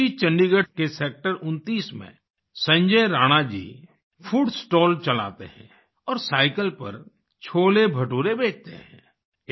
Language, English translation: Hindi, In Sector 29 of Chandigarh, Sanjay Rana ji runs a food stall and sells CholeBhature on his cycle